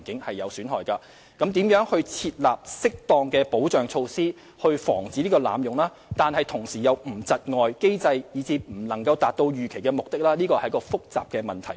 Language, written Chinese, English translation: Cantonese, 至於應如何設立適當的保障措施以防機制被濫用而同時又不會對其構成窒礙，以致不能達到預期目的是一個複雜的問題。, It is a complicated question as to how appropriate safeguards can be put in place to prevent abuse of the mechanism without impeding the mechanism to the extent that its intended purpose cannot be served